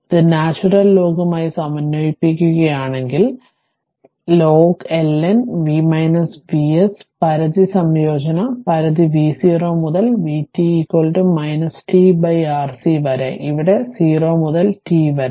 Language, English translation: Malayalam, So, if you integrate this with natural log ln v minus V s limit your integration limit is v 0 to v t is equal to minus t upon R C here also 0 to t